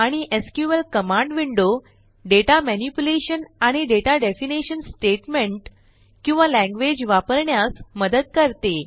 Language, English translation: Marathi, And the SQL command window helps us to use such data manipulation and data definition statements or language